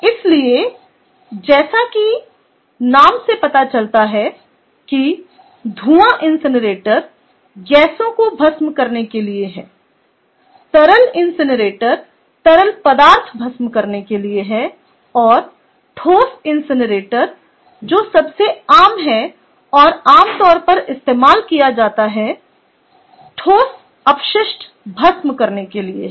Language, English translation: Hindi, the fume incinerator is for incinerating gases, liquid incinerator is for incinerating liquids and the solid incinerator that is the most common and ah commonly used is for incinerating solid waste